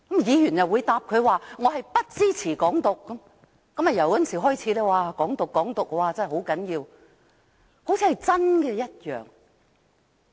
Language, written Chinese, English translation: Cantonese, 議員又回答他不支持"港獨"，自此"港獨"便成為城中熱話，說得好像真有其事般。, After a Member replied that he did not support Hong Kong independence the expression has become the talk of the town as if there were really a campaign for Hong Kong independence